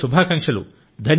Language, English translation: Telugu, Wish you the very best